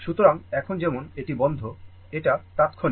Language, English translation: Bengali, So, as ah now it is closed; that is instantaneous